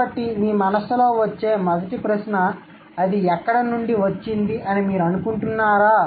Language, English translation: Telugu, So, do you think the first question that should come to your mind, where has it come from